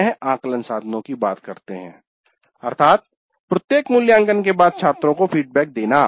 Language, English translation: Hindi, Then assessment instruments, then feedback to students after every assessment, this is very important